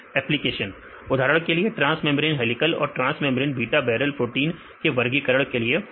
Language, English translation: Hindi, Applications for example, classifying transmembrane helical and transmembrane beta barrel proteins